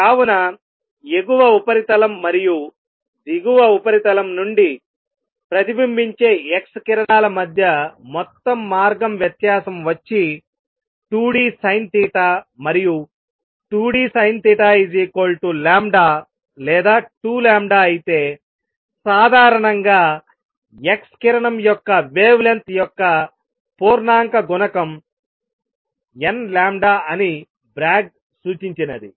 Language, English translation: Telugu, So, total path difference between the x rays reflected from the upper surface and the lower surface is 2 d sin theta, and what Bragg suggested that if 2 d sin theta is equal to lambda or 2 lambda and so on in general n lambda integer multiple of the wavelength of the x ray